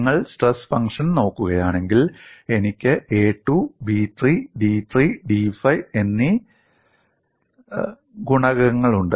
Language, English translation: Malayalam, And if you look at the stress function, I have the coefficients a 2, b 3, d 3, d 5, these have to be determined